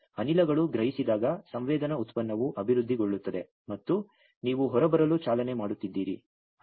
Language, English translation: Kannada, And when the gases senses, the sensing product develops, and you are driving get out